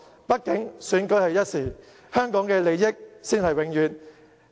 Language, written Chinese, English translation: Cantonese, 畢竟，選舉是一時的，香港的利益才是永遠。, After all while an election is momentary the interests of Hong Kong last forever